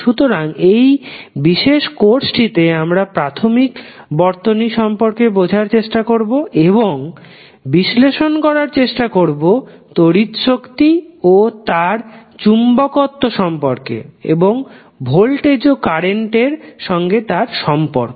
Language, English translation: Bengali, So, in this particular course we will try to understand the basic circuits and try to analyse what is the phenomena like electricity and its magnetism and its relationship with voltage and current